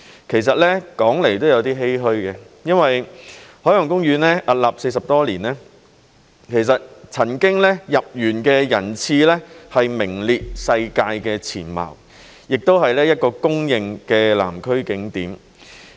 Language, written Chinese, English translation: Cantonese, 其實說來也有一點欷歔，因為海洋公園屹立40多年，入園人次曾經名列世界前茅，也是一個公認的南區景點。, In fact it is a bit saddening when talking about this since OP has been in existence for more than 40 years with its number of visitors once ranked among the top in the world . It is also a widely recognized attraction in the Southern District